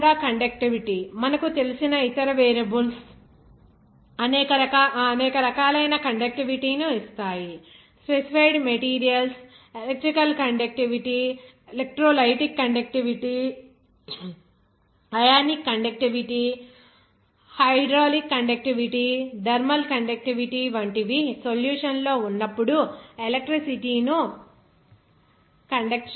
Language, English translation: Telugu, Similarly, conductivity you know the other variables like there are several different types of conductivity which will give you that, how that is specified materials conducts electricity they are in the solution like electrical conductivity, electrolytic conductivity, ionic conductivity, hydraulic conductivity, thermal conductivity are those different conductivities are there for the solution